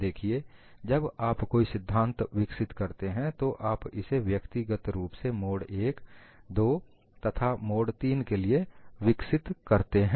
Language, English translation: Hindi, See, when you develop the theory, you develop it individually for mode 1, mode 2, and mode 3